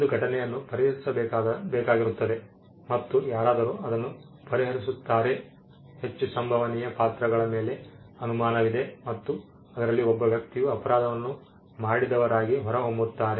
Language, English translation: Kannada, There is an event which has to be solved and somebody solves it there is a suspicion on the most possible characters and somebody else turns out to be the person who actually did the crime